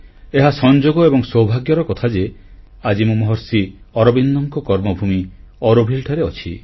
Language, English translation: Odia, Coincidentally, I am fortunate today to be in Auroville, the land, the karmabhoomi of Maharshi Arvind